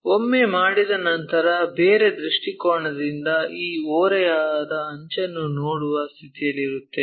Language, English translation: Kannada, Once, done from different view we will be in a position to see this slant edge